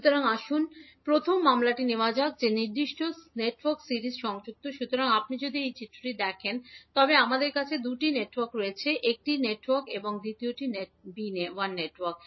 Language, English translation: Bengali, So, let us take first case that the network is series connected, so if you see in the figure these we have the two networks, one is network a and second is network b